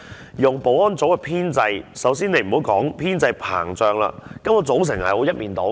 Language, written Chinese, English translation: Cantonese, 以物業及保安組的編制，首先不要說編制膨脹，根本組成是一面倒的。, In regard to the Estate and Security Office its composition is basically lopsided not to mention its bloated establishment